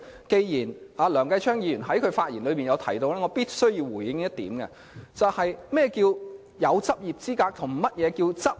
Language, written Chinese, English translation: Cantonese, 既然梁繼昌議員剛才發言提到這點，我必須回應何謂擁有執業資格及何謂執業。, Since Mr Kenneth LEUNG has just raised this point I must respond and explain the difference between being qualified to practise as a solicitor and a practising solicitor